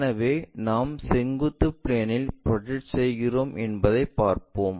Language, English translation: Tamil, This is always be perpendicular to vertical plane